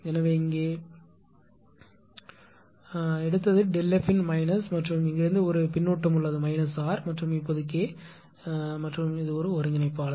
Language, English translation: Tamil, So, here you have taken it is minus of delta F and there is a feedback from here it is minus r and this now it is K and it is integrator right